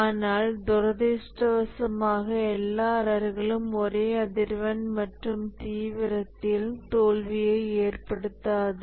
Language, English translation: Tamil, But unfortunately, all errors do not cause failures at the same frequency and severity